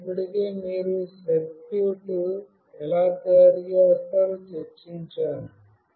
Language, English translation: Telugu, I have already discussed how you will be making the circuit